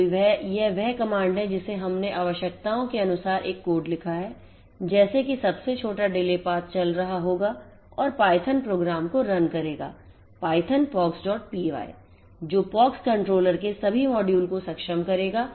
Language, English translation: Hindi, So, this is the command that we have written a code according to the requirements like the shortest delay path, will be running the python which is used to execute the Python program, Python then POX